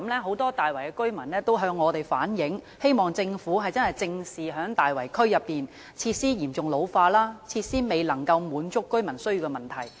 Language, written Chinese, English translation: Cantonese, 很多大圍居民曾向我們反映，希望政府正視大圍區內設施嚴重老化及設施未能滿足居民需要的問題。, Many residents of Tai Wai have relayed to us that they hope the Government would address the problem of severely ageing facilities in the Tai Wai area and the failure of the facilities to meet the needs of residents